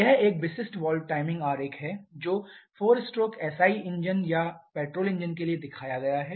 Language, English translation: Hindi, This is a typical valve timing diagram that is shown for a 4 stroke SI engine or petrol engine